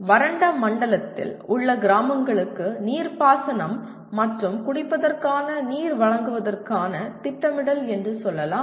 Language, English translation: Tamil, Let us say planning for supply of water for irrigation and drinking to a group of villages in an arid zone